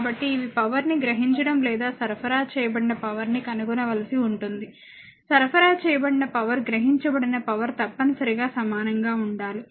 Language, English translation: Telugu, So, these are the you have to find out power absorbed or power supplied right, power supplied must be is equal to power absorbed